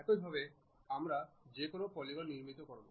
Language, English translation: Bengali, This is the way we construct any polygon